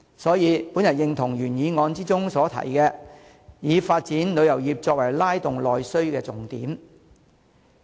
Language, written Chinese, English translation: Cantonese, 所以，我認同原議案提出要以發展旅遊業作為拉動內需的重點。, Therefore I agree to the view of the original motion that the development of tourism should be made the key for stimulating internal demand